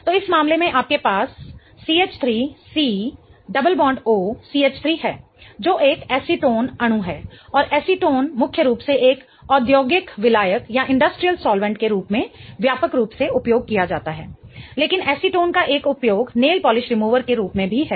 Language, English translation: Hindi, So, in this case you have CH3 C double bond OCH3 which is an acetone molecule and acetone is mainly used widely as an industrial solvent but one of the uses of acetone is also as a nail polish remover